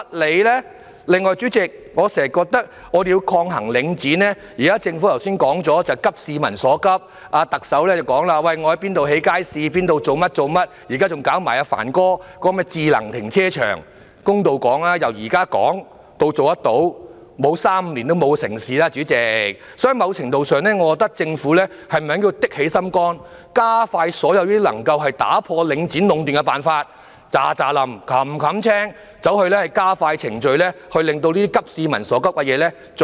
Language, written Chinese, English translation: Cantonese, 此外，代理主席，我經常認為，政府現時說急市民所急，特首亦表示將會在甚麼地方興建街市、在甚麼地方做甚麼事情，現在還要推行帆哥提出的智能停車場，公道地說，由現在開始討論到落實，沒有3年、5年也不可能成事，所以在某程度上，我認為政府應該下決心加快實行所有能打破領展壟斷的辦法，全速地加快程序，盡快落實這些急市民所急的措施。, In addition Deputy President I often think that although the Government says now that it will address the communitys pressing problems and the Chief Executive also said that markets would be built in certain locations and that certain things would be done in certain places and now it is even said that the smart car parks proposed by Secretary Frank CHAN will be built it would be fair to say that from discussion to actual implementation it will take three to five years . Therefore to some extent I believe the Government should summon its resolve and expedite the implementation of all measures that can break the monopolization by Link REIT speed up the processes at full steam and implement the measures aimed at addressing the communitys pressing concerns as soon as possible